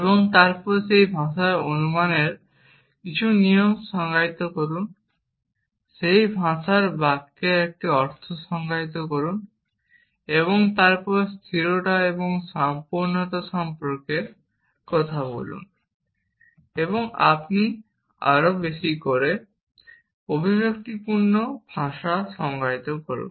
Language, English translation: Bengali, And then define some rules of inference in that language define a meaning of sentence in that language and then talk about soundness and completeness and as you define more and more expressive languages